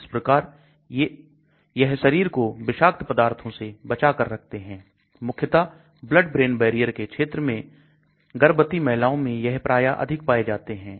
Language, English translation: Hindi, So that way they keep the body free of toxins especially in the blood brain barrier region especially the pregnant woman they all have quite a lot of this